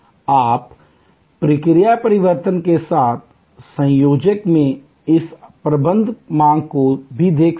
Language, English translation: Hindi, You can also look at this managing demand in combination with process changes